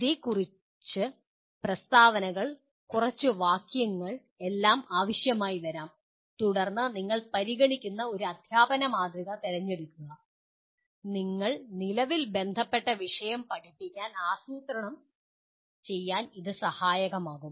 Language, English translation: Malayalam, It could be a few statements, few sentences that are all required and then select a model of teaching that you consider will help you to plan your teaching the subject that you are presently concerned with